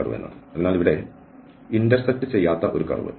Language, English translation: Malayalam, So, a curve which does not intersect here